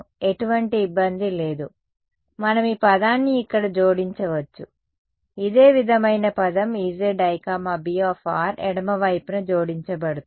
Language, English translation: Telugu, There is absolutely no difficulty, we can add like this term over here right a similar term E z i B r will be added to the left hand side of this